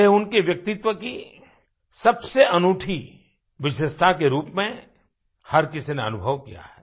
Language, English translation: Hindi, Everyone has experienced this as a most unique part of his personality